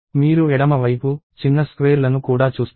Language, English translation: Telugu, You also see small rectangles on the left side